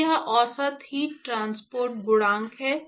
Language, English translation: Hindi, So, this is the average heat transport coefficient